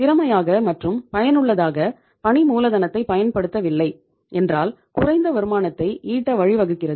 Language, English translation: Tamil, Lack of efficient and effective utilization of working capital leads to earn low rate of return